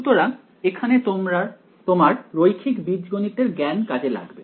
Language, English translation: Bengali, So, here is where your knowledge of linear algebra will come into play